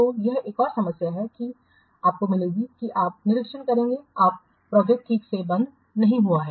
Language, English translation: Hindi, So, this is another problem that you will get that you will observe if the projects are not properly closed